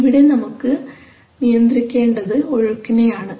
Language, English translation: Malayalam, So what you want to control here is flow let us see